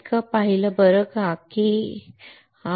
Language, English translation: Marathi, This much we have seen alright why we have seen this